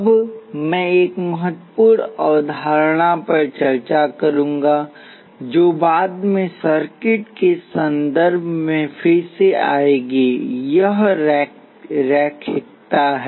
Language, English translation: Hindi, Now, I will discuss an important concept, which will revisit later in the context of circuits it is linearity